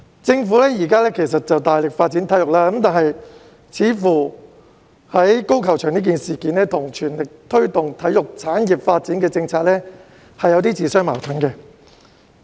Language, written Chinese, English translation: Cantonese, 政府現時大力發展體育，但高爾夫球場一事卻似乎與全力推動體育產業發展的政策自相矛盾。, The Government is now making great efforts to develop sports but the golf course issue seems to contradict its policy of promoting the development of sports industry